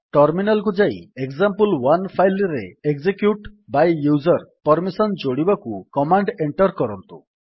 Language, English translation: Odia, Move to terminal and enter the command to add execute by user permission to file example1